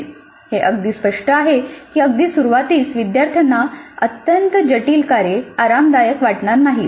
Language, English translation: Marathi, Now it's quite obvious that at the very beginning the learners may not be very comfortable with highly complex tasks